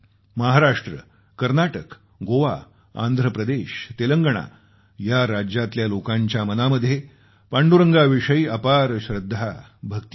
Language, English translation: Marathi, People from Maharashtra, Karnataka, Goa, Andhra Pradesh, Telengana have deep devotion and respect for Vitthal